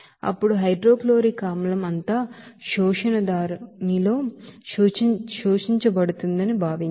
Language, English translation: Telugu, Now assume all hydrochloric acid is to be absorbed in the absorber